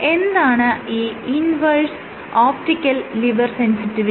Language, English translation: Malayalam, So, inverse optical lever sensitivity; what is it